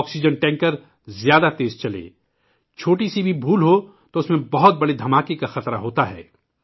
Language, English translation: Urdu, If an oxygen tanker moves fast, the slightest error can lead to the risk of a big explosion